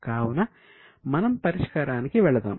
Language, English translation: Telugu, Now let us go to the solution